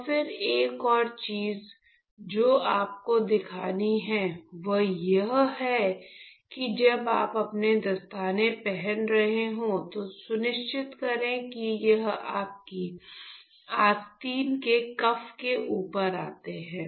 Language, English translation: Hindi, And then another thing what you have to observe is while you are wearing your gloves make sure this comes over your cuff of the sleeve